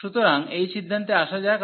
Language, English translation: Bengali, So, coming to the conclusion